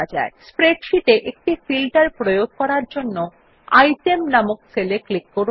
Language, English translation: Bengali, In order to apply a filter in the spreadsheet, lets click on the cell named Item